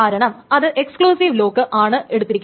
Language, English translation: Malayalam, The first one is called an exclusive lock